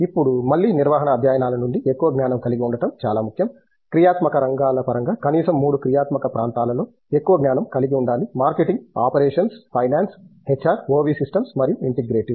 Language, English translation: Telugu, Now, again from management studies it’s very important to have a breadth knowledge also, breadth knowledge of at least three of the functional areas against the functional areas are marketing, operations, finance, HR, OV systems and integrative